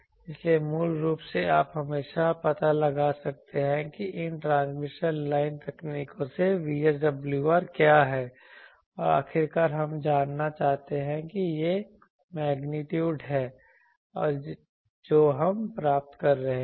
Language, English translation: Hindi, So, basically you can always find out what is the VSWR from these transmission line techniques and finally we want to know that this is the magnitude we are getting